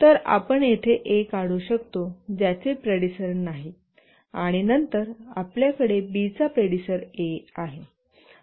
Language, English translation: Marathi, So we can draw A here which has no predecessor and then we have B has A as the predecessor